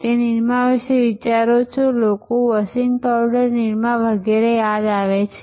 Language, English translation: Gujarati, The moment you think of nirma, people remember the jingle washing powder nirma and so on